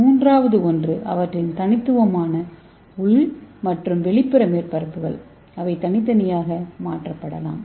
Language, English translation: Tamil, And third one is distinct inner and outer surface so which can be modified separately